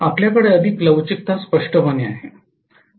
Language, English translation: Marathi, You have more flexibility clearly